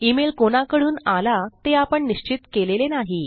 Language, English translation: Marathi, We havent determined who the email is from